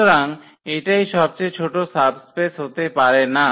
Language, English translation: Bengali, So, it cannot be that this is not the smallest subspace